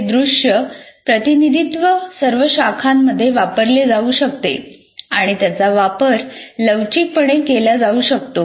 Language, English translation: Marathi, And these visual representations can be used in all disciplines and are quite flexible in their application